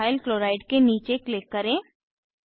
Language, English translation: Hindi, Click below Ethyl Chloride